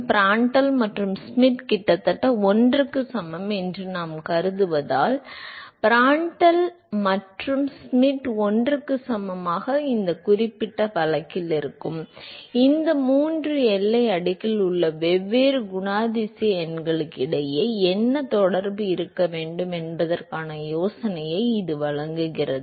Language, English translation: Tamil, So, this specific case of Prandtl and Schmidt equal to 1, this provide an idea as to what should be the relationship between the different characterizing numbers in these three boundary layer